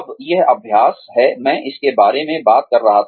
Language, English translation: Hindi, Now, this is the exercise, I was talking about